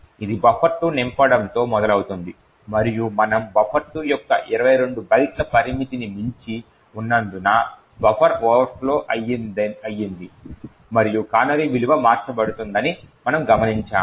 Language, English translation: Telugu, It starts off with filling buffer 2 and since we are exceeding the 22 byte limit of buffer 2 there is a buffer overflow and we note that the canary value gets changed